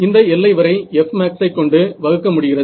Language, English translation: Tamil, So, what is this extent over here divided by F max